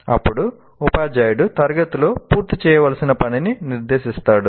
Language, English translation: Telugu, Then the teacher sets a task to be completed in the class